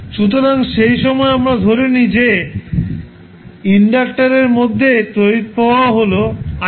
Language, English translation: Bengali, So, at that particular time we assume that the current flowing through inductor is I naught